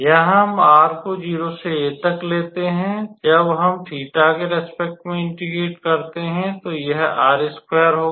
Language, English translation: Hindi, So, here let us write r running from a to pi, when we integrate with respect to theta first, it will be so r square